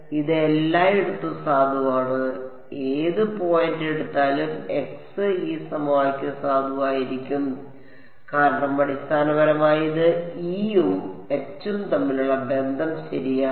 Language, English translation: Malayalam, It is valid everywhere take any point x this equation should be valid because basically it is giving me the relation between E and H right